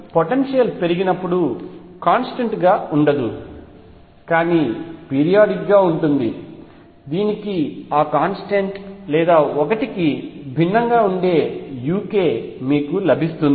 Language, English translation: Telugu, So, as the potential is increases becomes non constant, but remains periodic you get this u k which is different from that constant or 1